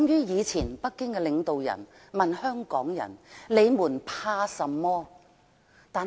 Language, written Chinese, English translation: Cantonese, 以前北京領導人曾問香港人，"你們怕甚麼？, Once a Beijing leader asked Hong Kong people What are you afraid of?